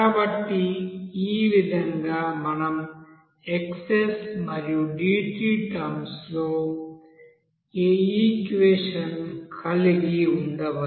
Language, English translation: Telugu, So in this way we can have this equation in terms of xs and dt